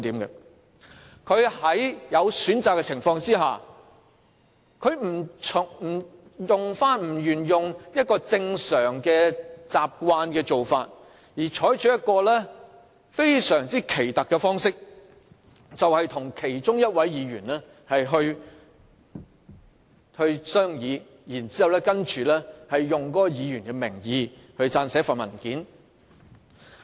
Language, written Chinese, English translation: Cantonese, 他在有其他選擇的情況下，卻棄用慣常的做法，反而採取一個非常奇特的方式，與其中一位議員商議，然後以該議員的名義撰寫文件。, Instead of taking these options he had deviated from the usual practice and adopted a very strange approach of discussing with a Member and drafting a document in the name of that Member